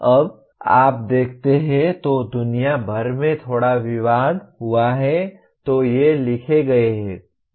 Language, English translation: Hindi, Now there has been a bit of controversy around the world when you look at the, these are written